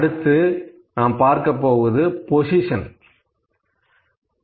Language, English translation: Tamil, So, next I will discuss about the position